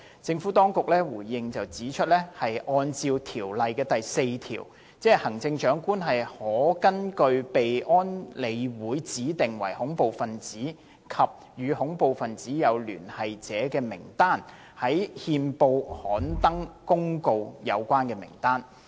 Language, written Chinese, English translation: Cantonese, 政府當局回應指出，按照《條例》第4條，行政長官可根據被安理會指定為恐怖分子及與恐怖分子有聯繫者的名單，在憲報刊登公告有關名單。, The Administration has responded that in accordance with section 4 of the Ordinance the Chief Executive may publish a notice in the Gazette specifying the name of a person who is designated by the Committee of UNSC as a terrorist